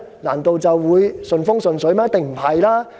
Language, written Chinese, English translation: Cantonese, 難道便會順風順水嗎？, Would everything be smooth and fine?